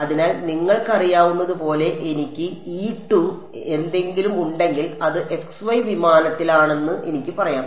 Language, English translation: Malayalam, So, if I had something like you know E z, I can say this is in the x y plane